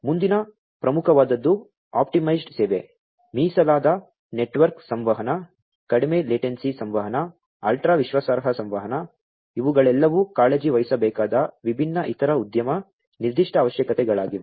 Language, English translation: Kannada, What is next important is the optimized service, optimized service, dedicated network communication, low latency communication, ultra reliable communication, these are the different other industry specific requirements that will all have to be, you know, care to